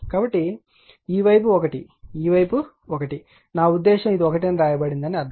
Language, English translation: Telugu, So, this side is 1 this side is 1, I mean I mean hear it is written 1